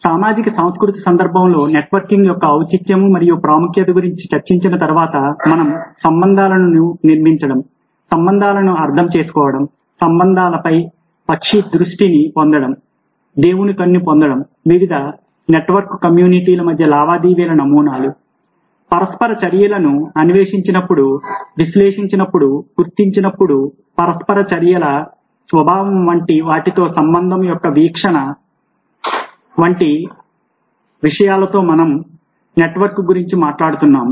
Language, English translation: Telugu, so, having discussed the relevance and the significance of networking in a social context, in an interpersonal context, we are talking about network in as building relationships, understanding relationships, getting a bird's eye view of relationships, getting a god's eye view of relationship, when we explore, analyze, identify patterns of transactions, nature of interactions amongst different network communities